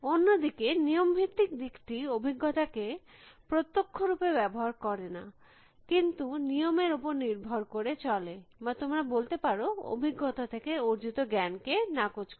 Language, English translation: Bengali, The rule base approach is on the other hand, does not use experiences directly, but realize on rules or you might say negates of knowledge extracted from experiences